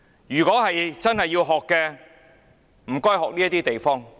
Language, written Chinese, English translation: Cantonese, 如果真的要學習，請學習這些地方。, If we really want to learn please learn from these places